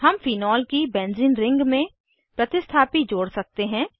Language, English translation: Hindi, We can add substituents to the benzene ring of phenol